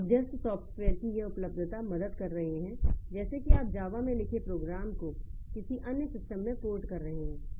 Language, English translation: Hindi, So, this availability of the intermediary software, so they are helping me like if you are porting a program written in Java to another system, so it is very simple